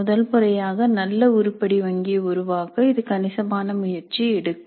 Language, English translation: Tamil, Now it is true that creating an item bank does require considerable effort